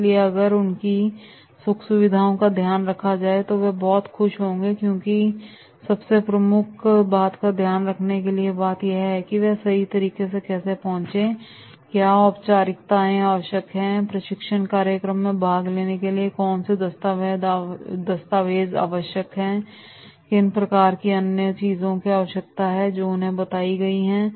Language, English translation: Hindi, If the comforts are taken care of then they will be very happy because the first and foremost is that is how to reach right and what formalities are required, what documents are required, what essentials are there for attending the training program which has been communicated to them